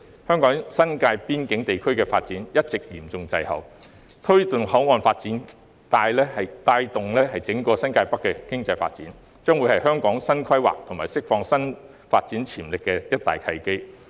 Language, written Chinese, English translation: Cantonese, 香港新界邊境地區的發展一直嚴重滯後，推動口岸發展帶動整個新界北經濟發展，將是香港新規劃及釋放發展潛力的一大契機。, The development of the New Territories border area in Hong Kong has been lagging far behind . Promoting port development can boost the economic development in the entire New Territories North thereby creating a great opportunity for Hong Kong to make new plans and unleash its development potential